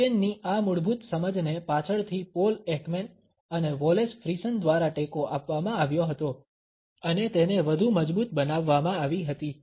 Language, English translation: Gujarati, This basic understanding of Duchenne was later on supported by Paul Ekman and Wallace Friesen and was further strengthened